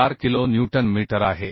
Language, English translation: Marathi, 47 kilo newton right and 0